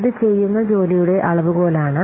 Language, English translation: Malayalam, It is a measure of work that is being done